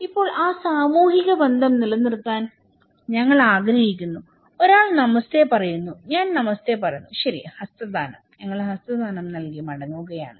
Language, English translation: Malayalam, Now, we want to maintain that social relationship, somebody is saying Namaste, I am saying Namaste, okay, handshake; we are returning with handshake